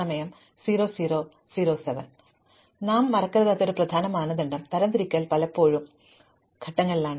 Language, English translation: Malayalam, So, one of the important criteria that we should not forget is that, sorting often happens in phases